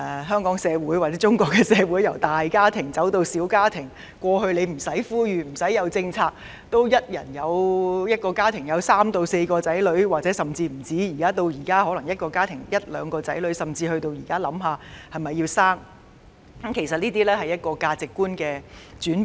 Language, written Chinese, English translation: Cantonese, 香港社會或中國社會由大家庭走向小家庭，從以往不用政府呼籲或推出任何政策，一個家庭也會有三四個或更多的小孩，至現在一個家庭只有一兩個小孩，甚至須考慮是否生育，其實反映出社會價值觀的轉變。, In local community or the community in China the size of family has been shrinking . In the past there were three four or more children in a family without any appeals made or policies launched by the Government but nowadays a family only has a child or two or even has to consider whether to bear one or not . This is actually a reflection of the change in social values